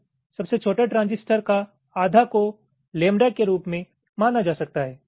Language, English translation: Hindi, the channel of the smallest transistor is typically represented as two lambda by two lambda